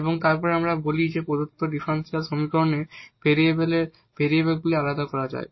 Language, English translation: Bengali, So, this is the implicit solution of the given differential equation by separating this variable